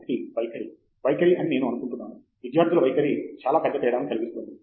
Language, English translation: Telugu, One, I think is the attitude, attitude the student’s attitude makes a big difference